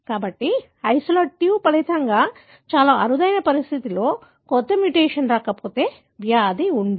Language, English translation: Telugu, So, as a result isolate 2 will not have the disease, unless a new mutation comes in which is extremely rare condition